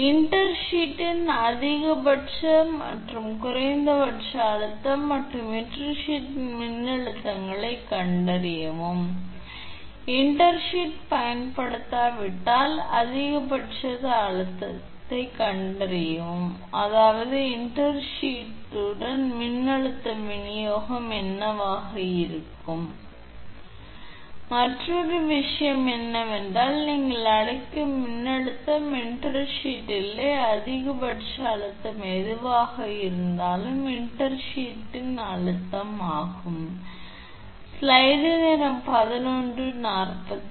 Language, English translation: Tamil, So, find the positions of intersheath maximum and minimum stress and voltages of the intersheath, also find the maximum stress if the intersheath are not used I mean one what will be the voltage distribution with intersheath and another thing is if voltage your what you call if intersheath is not there what will be the maximum stress right and what is the stress with intersheath now this is the problem